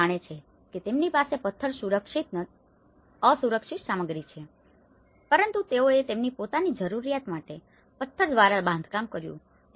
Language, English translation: Gujarati, They know that they have, a stone is an unsafe material but they have built with their own for their own needs, for their own